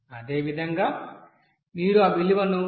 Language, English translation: Telugu, Similarly, if you increase that value 0